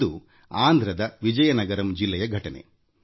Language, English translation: Kannada, This happened in the Vizianagaram District of Andhra Pradesh